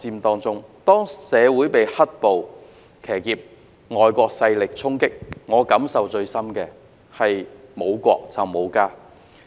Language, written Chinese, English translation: Cantonese, 當社會被"黑暴"騎劫及遭到外國勢力衝擊，我感受最深的是沒有國便沒有家。, When Hong Kong society was hijacked by the black - clad violence and suffered from the impact of intervention by foreign forces I had the deepest feeling that there would be no home for us without the country